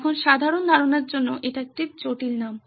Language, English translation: Bengali, Now it is a complicated name for a simple concept